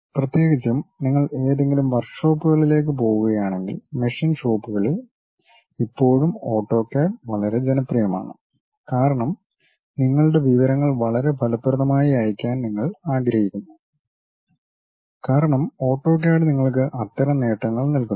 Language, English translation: Malayalam, And especially if you are going to any workshops machine shops still AutoCAD is quite popular, because you want to send your information in a very effective way AutoCAD really gives you that kind of advantage